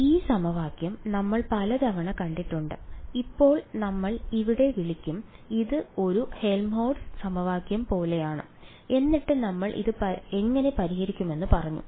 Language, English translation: Malayalam, So, this equation we have seen it many times when now we I will call this it is like a Helmholtz equation and then we said how do we solve this